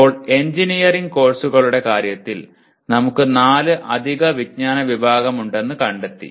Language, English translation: Malayalam, Now in case of engineering courses, we found that we have four additional categories of knowledge